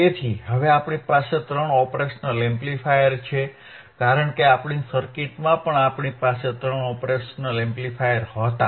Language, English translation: Gujarati, So, now we have here three operational amplifiers; 1, 2, and 3 right because in our circuit also we had three OP Amps right